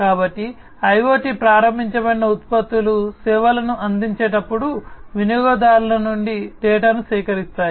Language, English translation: Telugu, So, IoT enabled products collect data from the users, while providing services